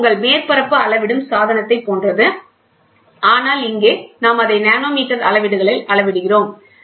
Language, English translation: Tamil, With it is just like your surface measuring device, but here we measure it at nanometre scales